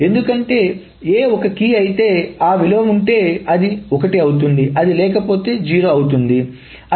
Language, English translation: Telugu, Because if A is a key, if that value occurs, X occurs, then it is one